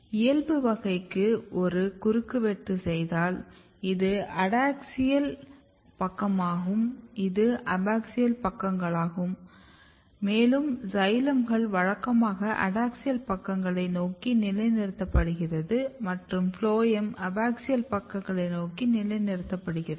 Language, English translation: Tamil, So, this is your adaxial side, this is abaxial sides and you can see that xylems are usually position towards the adaxial sides phloems are position towards the abaxial sides